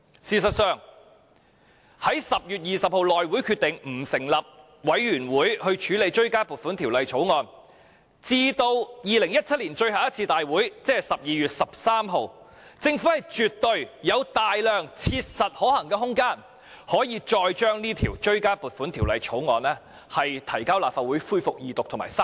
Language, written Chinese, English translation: Cantonese, 事實上，在10月20日內務委員會決定不成立法案委員會處理追加撥款條例草案至2017年最後一次大會，即12月13日，政府絕對有大量切實可行的空間，將這項追加撥款條例草案再提交立法會恢復二讀及三讀。, In fact between 20 October when the House Committee decided not to set up a Bills Committee on the Bill and the last meeting of the Legislative Council in 2017 on 13 December the Government absolutely had enormous room to practicably introduce the Bill into the Legislative Council for Second and Third Readings